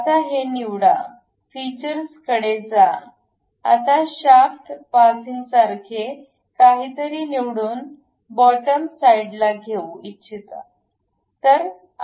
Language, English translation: Marathi, Now, pick this one, go to features; now we would like to have something like a shaft passing through that portion into bottoms side